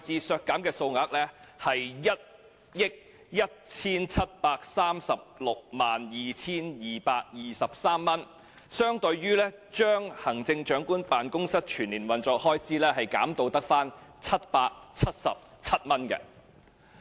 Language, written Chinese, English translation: Cantonese, 削減的數額是 117,362,223 元，相當於將行政長官辦公室全年運作開支削減至只有777元。, The reduction amounts to 117,362,223 equivalent to reducing the annual operational expenses of the Chief Executives Office to 777